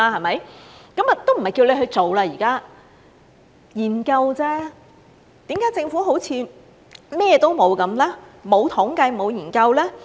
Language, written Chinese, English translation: Cantonese, 現在也沒有叫他去做，是研究而已，為何政府好像甚麼都沒有，沒有統計，沒有研究？, I am only asking him to look into this matter . The Government seems to have nothing . It does not have any statistics nor does it have conducted any studies